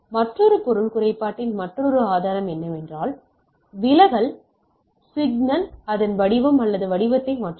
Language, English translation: Tamil, Another means another source of impairment is that distortion, signal changes its form or shape right